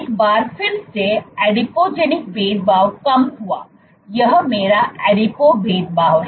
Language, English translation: Hindi, Once again Adipogenic differentiation dropped, this is my adipo differentiation